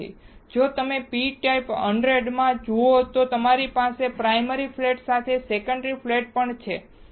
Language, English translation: Gujarati, Now, if you go for p type 100, then we also have a secondary flat along with primary flat